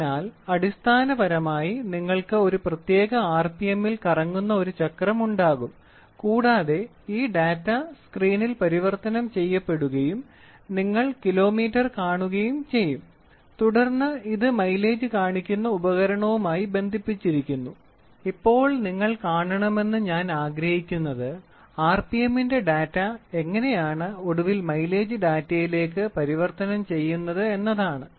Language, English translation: Malayalam, So, basically you will have a wheel which rotates at some rpm, it rotates at some rpm and this data is getting converted on the screen you will see kilometers, you will see kilometers and then this in turn is linked with a mileage showing device or mileage device, ok